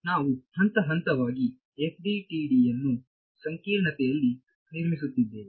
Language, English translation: Kannada, So, we are building the FDTD in complexity step by step